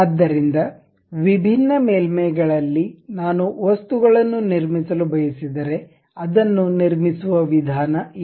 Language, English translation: Kannada, So, on different surfaces if I would like to really construct objects, this is the way we construct these objects